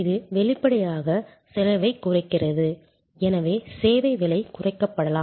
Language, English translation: Tamil, It obviously, also in reduces cost and therefore, may be the service price will be reduced